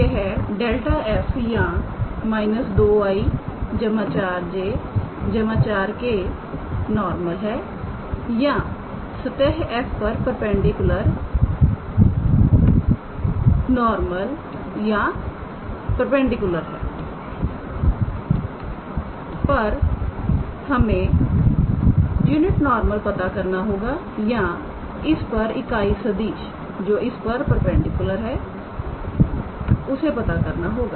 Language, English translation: Hindi, So, the gradient of f or minus of 2 i plus 4 j plus 4 k is normal, or perpendicular to the surface is normal or perpendicular to the surface f x, y, z alright, but we have to find out a unit normal or unit vector perpendicular to this